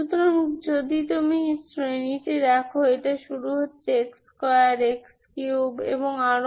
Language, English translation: Bengali, So if you look at the series, it is starting from x 2, x square, x 3 and so on, Ok